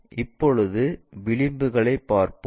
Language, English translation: Tamil, Now, let us look at edges